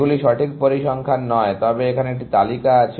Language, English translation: Bengali, These are not correct figures, but there was a list